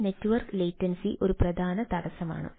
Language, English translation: Malayalam, this network latency is plays a major bottleneck